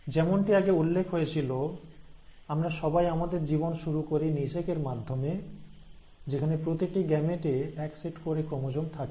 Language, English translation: Bengali, As I mentioned, we all start our life through the process of fertilization where each gamete has one set of chromosomes